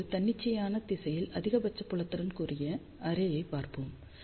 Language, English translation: Tamil, Now, let us see array with maximum field in arbitrary direction